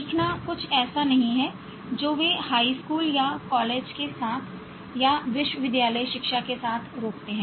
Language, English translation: Hindi, Learning is not something they stop with high school or with college or with university education